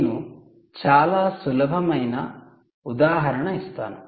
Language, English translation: Telugu, i give you a very simple example